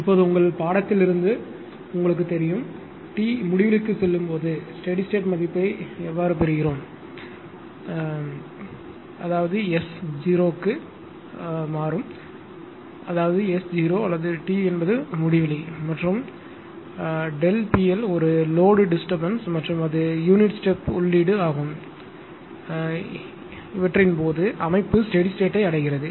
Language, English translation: Tamil, Now, you know from your control system that when t tends to infinity, I will get the steady state value; that means, S tends to 0; that means, system reaches to steady state when S tends to 0 or t tends to infinity and delta P L is a load disturbance and at it is a step input, but if S tends to 0 here there is no question of you know integral function or integral controller type of thing